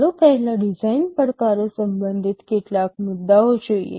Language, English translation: Gujarati, Let us look at some issues relating to design challenges first